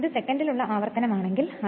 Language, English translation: Malayalam, If it is revolution per second it will be N by 60 then